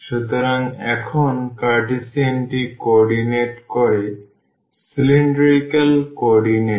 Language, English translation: Bengali, So now, the Cartesian co ordinate to cylindrical coordinates